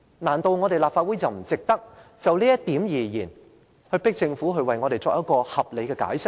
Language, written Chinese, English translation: Cantonese, 難道立法會不值得就這一點，迫使政府為我們作出合理解釋嗎？, Is it not a point worth exploring by the Legislative Council thereby urging the Government to offer us a reasonable explanation?